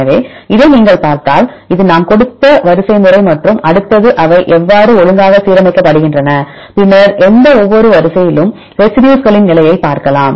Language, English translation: Tamil, So, if you see this one this is the sequence different sequences we gave and the next one is the alignment how they are properly aligned and then see the residue position in this each sequence